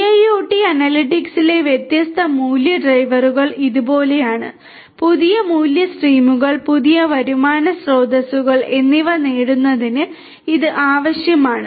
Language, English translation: Malayalam, The different value drivers for IIoT analytics are like this, that you know it is required to derive new value streams, new revenue streams